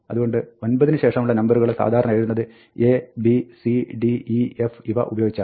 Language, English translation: Malayalam, So, the numbers beyond 9 are usually written using A, B, C, D, E, F